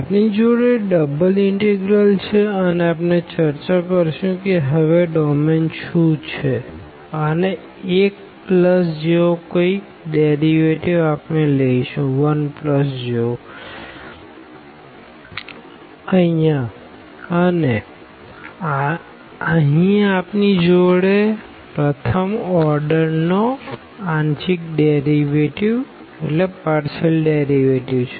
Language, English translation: Gujarati, We have the double integral, we will discuss this what is the domain here now and the square root we will take 1 plus like similar to here we have the derivative here also we have the first order partial derivative